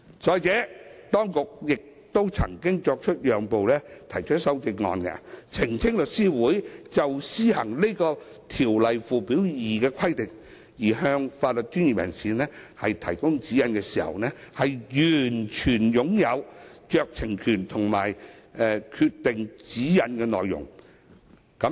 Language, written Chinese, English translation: Cantonese, 再者，當局亦曾作出讓步，提出修正案訂明律師會的權力，包括就施行《條例》附表2的規定而向法律專業人士提供指引時，律師會擁有完全酌情權及決定指引內容的權力。, In addition the authorities have also made concessions by proposing CSAs to set out The Law Societys power including the sole discretion to determine the content of any guidance provided to legal professionals in relation to the operation of requirements in Schedule 2 to AMLO